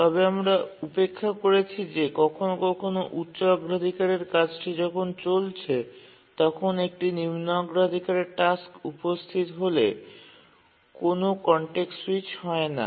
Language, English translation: Bengali, But we are overlooking that sometimes a higher priority task may be running and a lower priority task arrives and there is no context switch